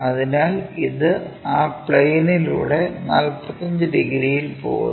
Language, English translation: Malayalam, So, this one goes via 45 degrees through that plane